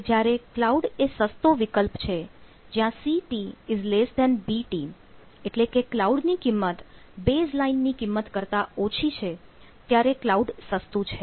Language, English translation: Gujarati, now, when cloud is cheaper, when the ct is less than bt, if the cost of cloud is less than the cost of baseline, then it is cheaper